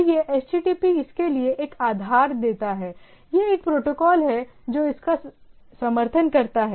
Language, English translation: Hindi, So, this HTTP gives a basis for that, its a protocol which supports that